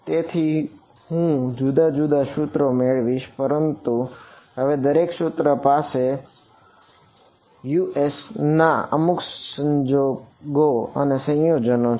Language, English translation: Gujarati, So, I will get different equations, but all equations will have some combination of this Us now